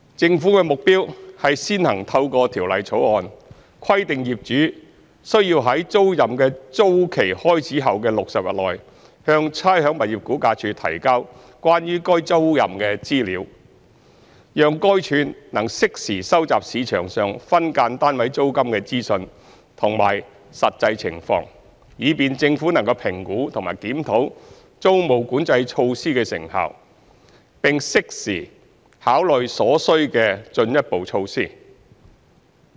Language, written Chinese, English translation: Cantonese, 政府的目標是先行透過《條例草案》，規定業主須在租賃的租期開始後的60日內，向差餉物業估價署提交關於該租賃的資料，讓該署能適時收集市場上分間單位租金的資訊和實際情況，以便政府能評估及檢討租務管制措施的成效，並在適時考慮所需的進一步措施。, The Governments objective is to first require through the Bill landlords to submit information about the tenancy to RVD within 60 days after the term of the tenancy commences so that RVD can collect timely information about SDU rentals in the market and their actual conditions . This will facilitate the Governments assessment and review of the effectiveness of the tenancy control measures and enable it to consider further measures as necessary at an opportune time